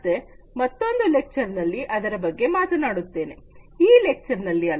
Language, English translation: Kannada, So, we will talk about that in another lecture not in this lecture